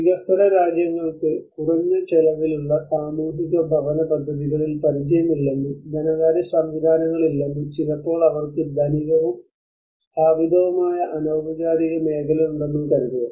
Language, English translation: Malayalam, Often assuming that developing countries have no experience in low cost social housing schemes, no finance mechanisms, nor they do sometimes possess a profoundly rich and established informal sector